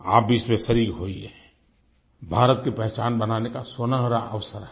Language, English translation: Hindi, It's a golden chance to build India's image